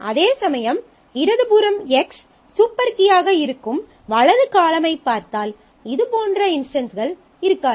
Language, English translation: Tamil, Whereas if you look at the right column where the left hand side X is a super key then such instances will not happen